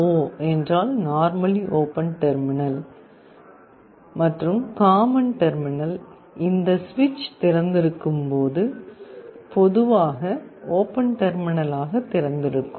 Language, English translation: Tamil, NO means normally open terminal and common are normally open internally, when this switch is open